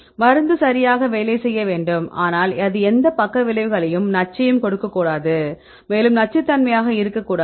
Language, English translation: Tamil, You should work right, but it should not give any side effects right it should not give any toxic it should not be toxic